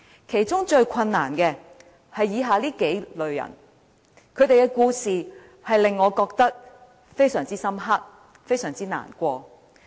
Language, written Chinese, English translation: Cantonese, 其中最困難的，是以下數類人，他們的故事，令我印象非常深刻和感到難過。, There are several categories of people who are facing the most difficult life . I am deeply impressed and saddened by their stories